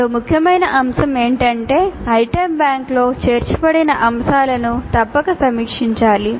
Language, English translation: Telugu, The another important aspect is that the items included in an item bank must be reviewed